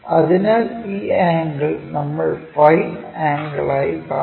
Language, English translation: Malayalam, So, this is the angle what we are seeing as phi angle